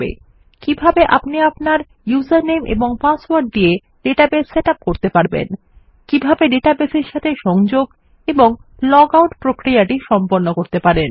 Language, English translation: Bengali, Ill show you how to set up a database with your user name and password, how to connect to a database and also to process a logout function